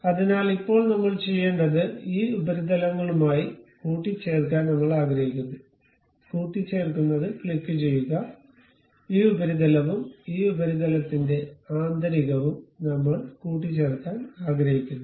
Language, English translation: Malayalam, So, now, I would like to really mate these surfaces what we have to do, click ok mate, this surface and internal of this surface we would like to mate